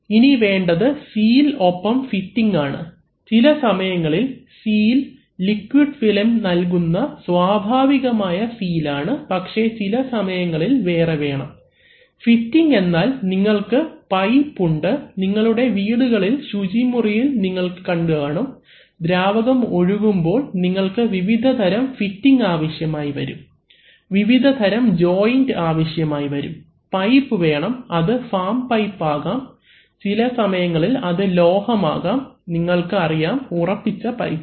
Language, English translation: Malayalam, Then you need some, as I said that you need seals and fittings, sometimes the seal is a natural seal provided by the liquid film but sometimes you need to, fittings means whether you have, you have pipe, you have seen in your own house in the bathrooms that, whenever you, I mean some fluid is flowing, you need various kinds of fittings, you need various kinds of joints, right you need the pipe itself which can be farm pipe typically in the bathrooms, it is sometimes a metal, you know fixed pipe